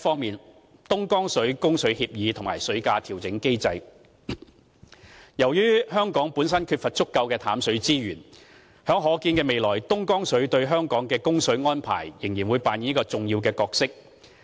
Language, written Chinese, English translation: Cantonese, a 東江水供水協議及水價調整機制由於香港本身缺乏足夠的淡水資源，東江水在可見的未來對香港的供水安排，仍然會扮演着一個重要的角色。, a Dongjiang water supply agreement and water price adjustment mechanism Due to the fact that Hong Kong lacks adequate freshwater resources Dongjiang water will play an important role in Hong Kongs water supply arrangement in the foreseeable future